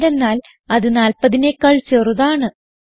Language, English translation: Malayalam, And it also not less than 40